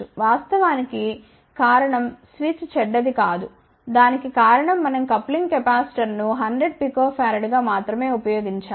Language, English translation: Telugu, Actually the reason is not that the switch was bad, the reason for that is we have used coupling capacitor as only a 100 Pico farad